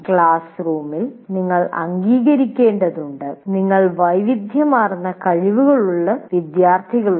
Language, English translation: Malayalam, And what happened in a classroom, you have to acknowledge that you have students with widely varying abilities in your class